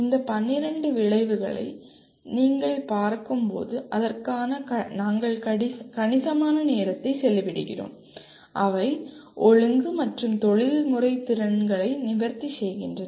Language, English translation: Tamil, And when you look at these 12 outcomes as we spend considerable time on that, they address both disciplinary and professional competencies